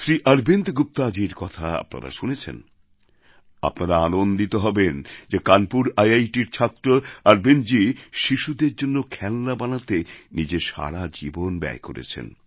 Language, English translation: Bengali, It will gladden your heart to know, that Arvind ji, a student of IIT Kanpur, spent all his life creating toys for children